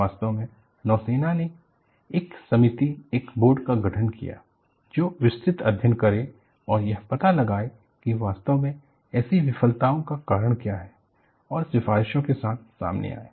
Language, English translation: Hindi, In fact, the navy formulated a committee, a board, to go into the details and find out what really caused such failures, and come out with recommendations